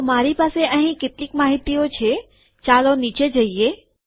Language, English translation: Gujarati, So I have some information here, lets go to the bottom